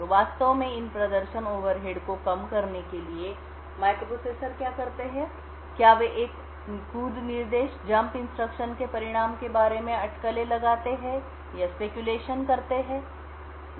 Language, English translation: Hindi, So, in order to actually reduce these performance overheads what microprocessors do is they speculate about the result of a jump instruction